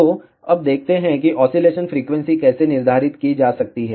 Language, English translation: Hindi, So, now let us see how the oscillation frequency can be determined